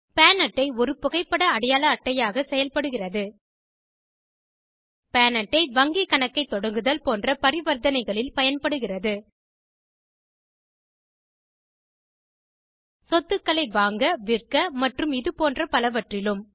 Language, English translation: Tamil, PAN card acts as an important photo ID proof PAN card helps in transactions like opening a bank account, buying or selling of assets, etc